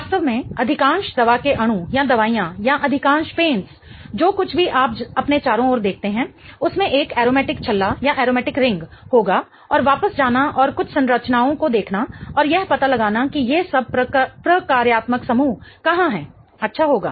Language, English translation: Hindi, In fact, most of the drug molecules or the medicines or most of the paints, pigments, everything you see around will have an aromatic ring in it and it would be good to go back and look at some of the structures and figure out where all these functional groups are